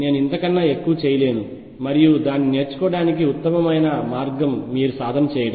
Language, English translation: Telugu, I cannot do more than this and the best way to learn it is to practice it yourself